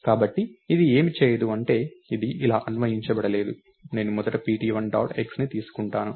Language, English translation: Telugu, So, what this doesn't do is, it is not interpreted as, I will first take pt1 dot x